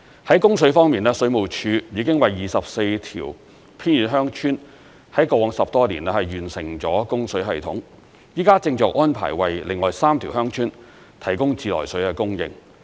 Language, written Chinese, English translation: Cantonese, 在供水方面，水務署已經為24條偏遠鄉村，在過往10多年，完成了供水系統，現正安排為另外3條鄉村提供自來水的供應。, On water supply the Water Supplies Department has over the past 10 - odd years completed water supply systems for 24 remote villages and is now providing mains water supply for another three villages